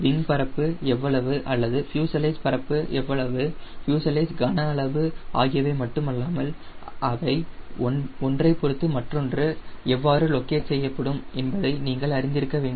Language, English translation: Tamil, these are not only important that you know how much will be wing area or how much will be the fuselage area, fuselage volume, but you also should know how they are located relative to each other